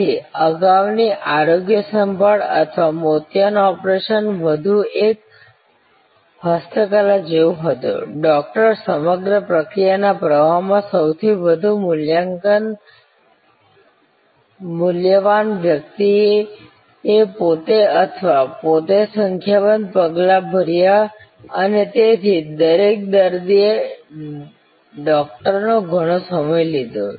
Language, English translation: Gujarati, So, health care earlier or cataract operation was more like a craft, the Doctor, the most high value person in the whole process flow did number of steps himself or herself and therefore, each patient occupied a lot of time, the Doctor’s time